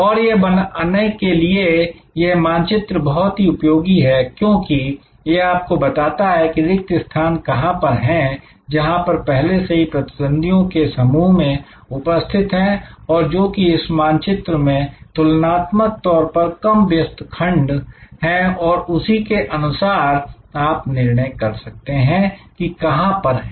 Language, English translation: Hindi, And this creating this map is very useful, because it explains to you were your gaps are, where there already clusters of competitors and which is relatively less busy segment on the map and accordingly you can decide, where to be